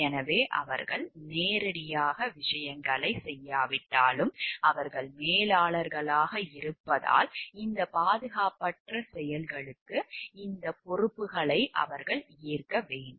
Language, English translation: Tamil, So, even if they have not done things directly, but because they are managers so, they have to worn up these responsibilities for this unsafe acts